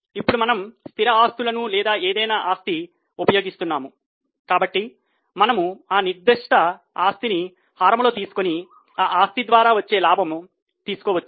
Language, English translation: Telugu, Now we are using fixed assets or some any asset so we can take that particular asset in the denominator and find out the profit generated by that asset